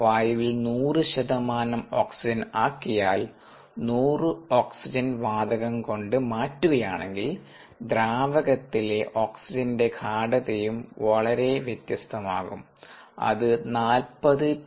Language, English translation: Malayalam, if you replace air with hundred percent oxygen, hundred oxygen gas, the oxygen concentration at equilibrium in the liquid is going to be very different